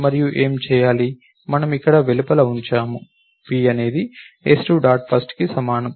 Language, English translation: Telugu, And what to be do, we put the outside over here, p is equal to s2 dot first